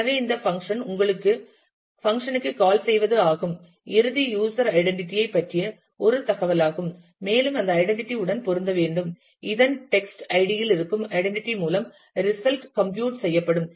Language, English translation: Tamil, So, what this function gives you call to the function gives you is an information about the end user identity, and that identity has to match, the identity that exist in the text ID for the result to be computed